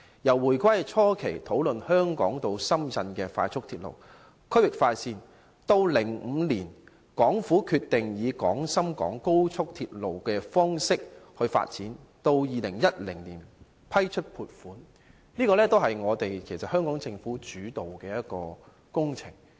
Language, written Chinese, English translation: Cantonese, 由回歸初期討論香港至深圳的快速鐵路等區域快線，及至2005年港府決定以廣深港高速鐵路方式來發展，再到2010年批出撥款，這些全是由香港政府主導的工程。, From the discussion on regional express routes such as high - speed railway between Hong Kong and Shenzhen in the initial period after the reunification to the decision made in 2005 by the Hong Kong Government to pursue development by way of the Guangzhou - Shenzhen - Hong Kong Express Rail Link XRL and then the funding approval in 2010 the Hong Kong Government has taken the lead in all these projects